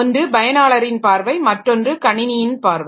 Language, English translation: Tamil, One is the user view or another is the system view